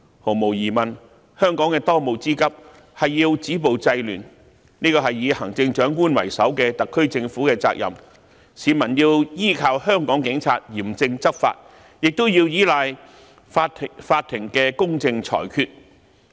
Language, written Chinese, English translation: Cantonese, 毫無疑問，香港的當務之急是要止暴制亂，這是以行政長官為首的特區政府的責任，市民依靠香港警察嚴正執法，亦依賴法庭的公正裁決。, Undoubtedly the most urgent task of Hong Kong is to stop violence and curb disorder and this is also the responsibility of the SAR Government headed by the Chief Executive . The people rely on the Police to take stringent enforcement actions and the courts to give fair judgments